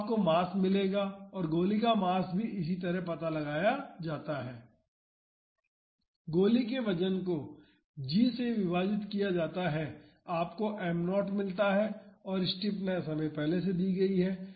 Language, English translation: Hindi, So, you will get the mass and the mass of the bullet is also found like this weight is given divided by g you get m naught and stiffness is already given